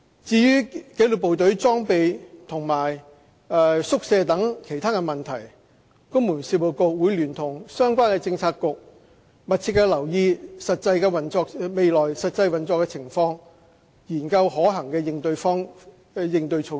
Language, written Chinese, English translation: Cantonese, 至於紀律部隊的裝備和宿舍等其他問題，公務員事務局會聯同相關政策局密切留意未來實際運作的情況，研究可行的應對措施。, As to the issues concerning equipment and quarters for the disciplinary forces the Civil Service Bureau will closely monitor the actual operation in future in collaboration with the relevant Policy Bureau and study the feasible corresponding measures